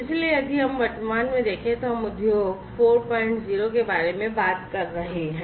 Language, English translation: Hindi, So, if we look at present we are talking about Industry 4